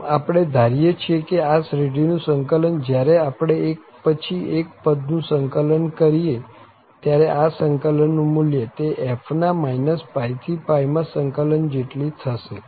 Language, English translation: Gujarati, So, what we are assuming that the integral of this series, when we integrate this term by term, that the value of that integral is equal to the integral of f over this range minus pi to pi